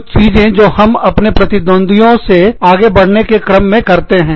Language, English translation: Hindi, Some things, that we do, in order to, stay ahead of our competitors